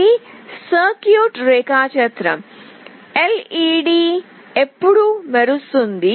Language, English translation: Telugu, This is the circuit diagram, when the LED will glow